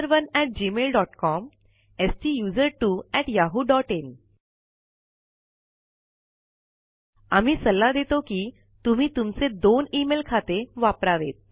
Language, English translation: Marathi, They are: STUSERONE at gmail dot com STUSERTWO at yahoo dot in We recommend that you use 2 of your email accounts